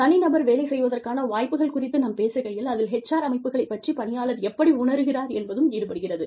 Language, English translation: Tamil, When we talk about, individual opportunity to perform, that is about, you know, employee perceived HR systems